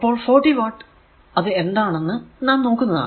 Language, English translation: Malayalam, So, 40 watt that later will see 40 watt, 60 watt or 100 watt right